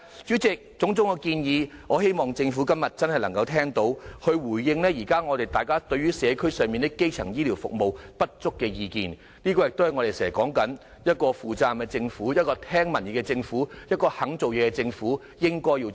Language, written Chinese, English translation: Cantonese, 主席，我希望政府今天真的能夠聽到種種建議，回應大家現時對於社區基層醫療服務不足的意見，正如我們經常說，這是一個負責任、聽取民意、肯做事的政府應該要做的事。, Can the Government relieve the pressure on these outpatient services? . President I hope the Government can truly listen to all these different proposals today and respond to us on insufficient primary health care services in society . As I often say this is what a responsible government which is receptive to public views and willing to work hard should do